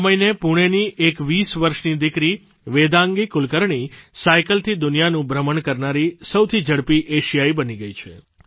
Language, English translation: Gujarati, This very month, 20 year old Vedangi Kulkarni from Pune became the fastest Asian to traverse the globe riding a bicycle